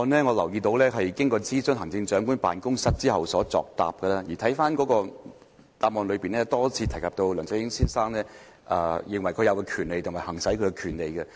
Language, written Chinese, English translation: Cantonese, 我留意到司長的答覆是經諮詢行政長官辦公室後作出的，而主體答覆多次提及梁振英先生認為他有權利，以及可以行使其權利。, I notice that the reply of Chief Secretary for Administration was written after consulting the Chief Executives Office and the main reply repeatedly says that Mr LEUNG Chun - ying thinks that he has the right and he can exercise it